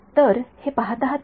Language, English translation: Marathi, So, looking at this what